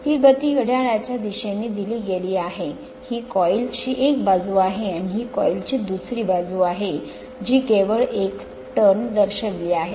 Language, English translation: Marathi, This is the motion is given in clockwise direction, this is one side of the coil and this is other side of the coil only one turn it is shown